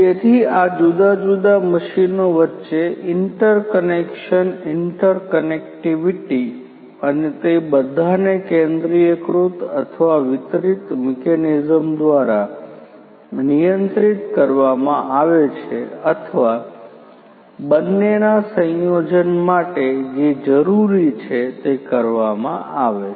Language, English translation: Gujarati, So, interconnection interconnectivity between these different machines and having all of them controlled through either centralized or a distributed mechanism or, or a combination of both is what is required